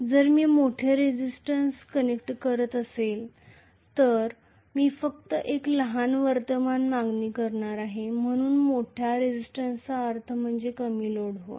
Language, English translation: Marathi, If I am connecting a larger resistance I am going to demand only a smaller current so larger resistance means loading less